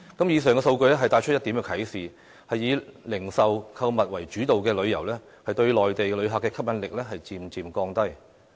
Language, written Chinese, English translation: Cantonese, 以上數據帶出一點啟示：以零售購物為主導的旅遊，對內地旅客的吸引力漸漸降低。, What we learn from the above figures is retailing and shopping tourism is becoming less and less attractive to Mainland visitors